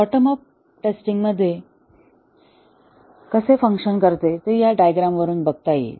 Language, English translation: Marathi, The way the bottom up testing works can be seen from this diagram